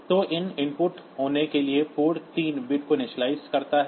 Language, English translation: Hindi, So, this initializes port 3 bits to be input